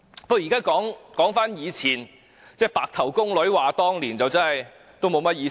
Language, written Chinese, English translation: Cantonese, 現在說回從前，就像"白頭宮女話當年"，已無甚意義。, Now looking back at what happened just like a granny looking back on the good old days is meaningless